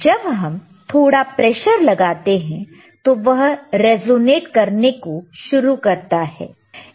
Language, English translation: Hindi, wWhen we apply some pressure, it will start resonating